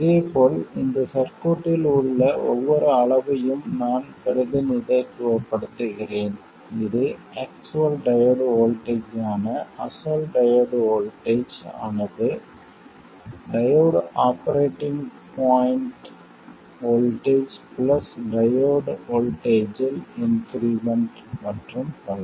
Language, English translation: Tamil, And similarly I represent every quantity in the circuit, that is the actual diode voltage as the original diode voltage, the operating point diode voltage plus an increment in the diode voltage and so on